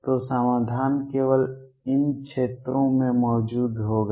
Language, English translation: Hindi, So, solution would exist only in these regions